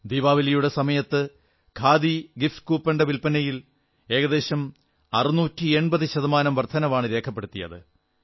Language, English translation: Malayalam, During Diwali, Khadi gift coupon sales recorded an overwhelming 680 per cent rise